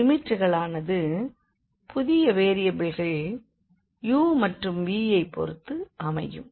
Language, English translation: Tamil, So, the limits will now follow according to the new variables u and v